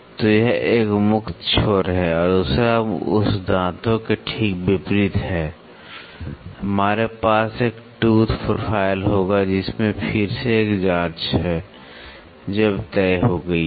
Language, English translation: Hindi, So, this is one free end the other just to opposite to that teeth we will have a tooth profile with again there is a probe which is fixed now